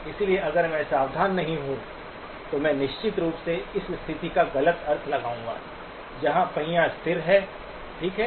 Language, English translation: Hindi, So if I am not careful, I will definitely misinterpret this situation as a case where the wheel is stationary, okay